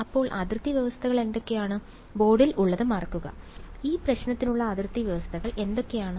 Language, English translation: Malayalam, So, what are the boundary conditions forget what is on the board, what are the boundary conditions for this problem